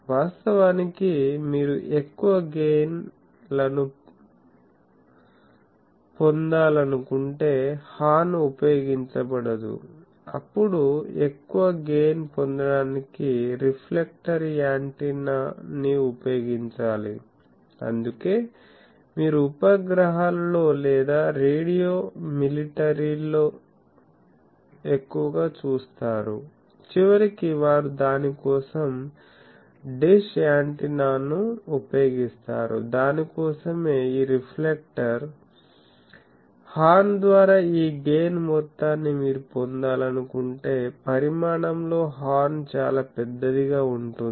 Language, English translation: Telugu, Actually, if you want to produce higher very higher gains horn is not used, then a reflector antenna is used to have more gain that is why you see satellite people or radio military people ultimately they use a dish antenna for that, this reflector for that, because horn it will be very bulky if you want to have that whole this gain by the horn